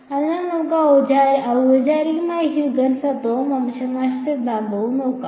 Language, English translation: Malayalam, So, let us formally the Huygens principle and extinction theorem